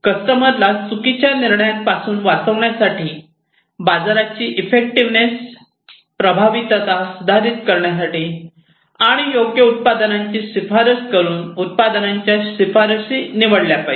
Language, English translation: Marathi, For the customer to protect from wrongful decisions, improve market effectiveness, and picking appropriate product recommendations, making appropriate product recommendations